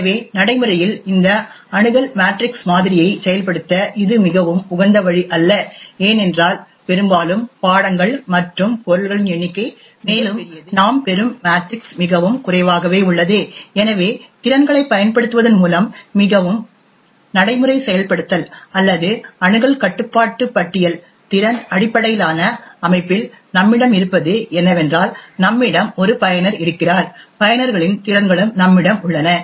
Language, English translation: Tamil, So in practice it is not a very optimal way to implement this access matrix model, this is because quite often the number of subjects and objects are quite large and the matrix that we obtain is highly sparse and therefore a more practical implementation is by using capabilities or access control list, in a capability based system what we have is that we have one user and we have the capabilities of the users